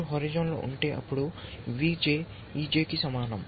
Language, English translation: Telugu, If you are on the horizon, then we get V J is equal to e J